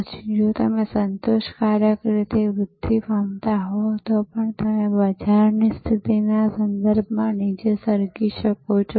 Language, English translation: Gujarati, Then, even if you are growing satisfactorily you maybe sliding down in terms of the market position